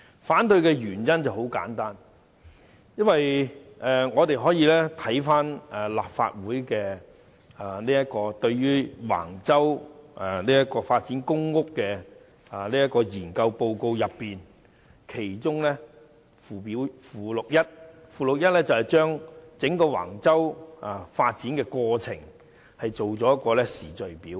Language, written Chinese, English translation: Cantonese, 反對的原因非常簡單，我們可以翻查立法會就橫洲公共房屋發展計劃發表的研究報告，其中附錄一載有整個橫洲發展過程的時序表。, Members can read the information note on the public housing development plan at Wang Chau prepared by the Legislative Council and check the chronology of the major events in Appendix I and then they will understand why I oppose this motion